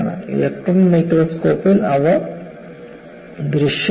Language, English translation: Malayalam, They are visible in electron microscope